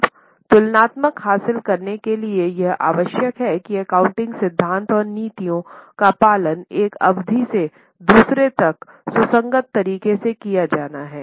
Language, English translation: Hindi, Now, in order to achieve the comparability, it is necessary that the accounting principles and policies are followed from one period to another in a consistent manner